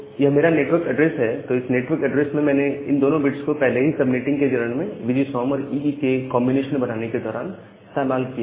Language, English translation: Hindi, So, this network address, these two bits I have already used in the previous step of subnetting to make a combination of VGSOM plus EE network